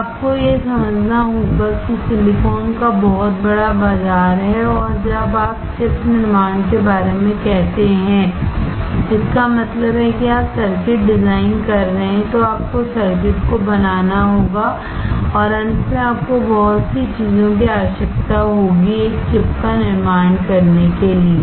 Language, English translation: Hindi, So, you have to understand that the silicon has a huge market and when you say about chip manufacturing, that means, you are designing the circuit, then you have to fabricate the circuit and you require lot of things to come into play to finally, manufacture a single chip